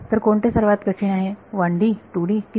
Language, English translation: Marathi, So, which is harder 1D 2 D 3D